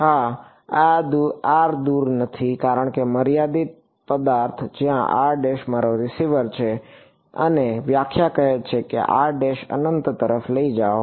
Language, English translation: Gujarati, Yeah r does not go far because the finite object, r prime is where my receiver is and the definition says take r prime to infinity